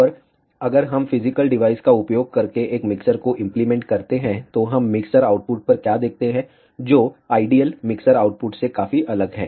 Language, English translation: Hindi, And ah if we implement a mixer using physical devices, what we see at the mixer output, which is quite different than the ideal mixer output